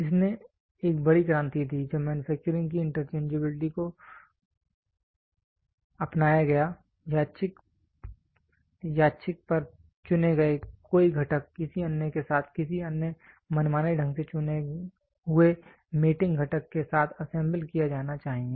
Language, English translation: Hindi, This gave a big revolution, when interchangeability of manufacturing is adopted, any one component selected at random should assemble with another with any other arbitrary chosen mating component